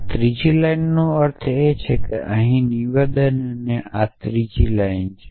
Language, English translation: Gujarati, So, this is this stands for the a third row here this statement call this third row